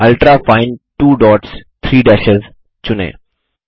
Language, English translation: Hindi, Select Ultrafine 2 dots 3 dashes